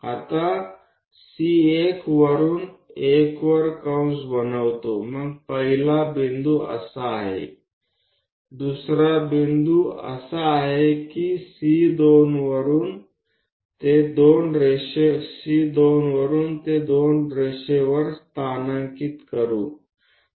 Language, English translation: Marathi, Now, from C1 make an arc on 1 somewhere there locate that point so the first point is that, second point is that from C2 locate it on the line 2